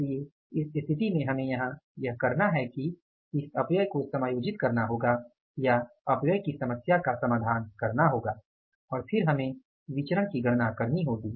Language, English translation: Hindi, So in this situation what we will have to do here is that we will have to adjust the waste age or address the issue of the wastage and then we will have to calculate the variances